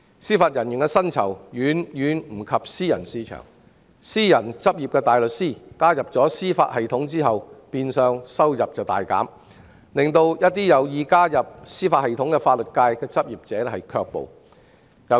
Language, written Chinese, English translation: Cantonese, 司法人員的薪酬遠不及私人市場，私人執業大律師加入司法系統後變相收入大減，令一些有意加入司法系統的法律界執業者卻步。, Since the remuneration for Judicial Officers is no match for that in the private market a private barrister will be making much less money after joining the Bench . Some interested legal practitioners may hence hesitate to serve as Judicial Officers